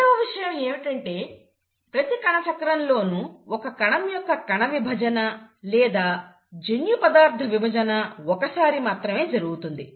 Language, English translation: Telugu, The second thing is in every cell cycle, the cell undergoes cell division or division of the genetic material only once